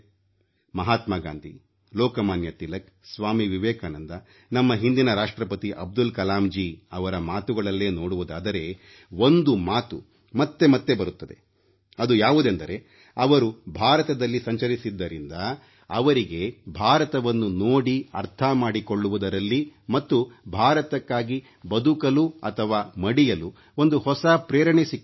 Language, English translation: Kannada, If you refer to Mahatma Gandhi, Lokmanya Tilak, Swami Vivekanand, our former President Abdul Kalamji then you will notice that when they toured around India, they got to see and understand India and they got inspired to do and die for the country